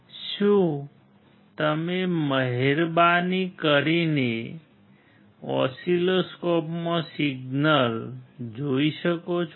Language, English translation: Gujarati, Can you please see the signal in the oscilloscope can you show it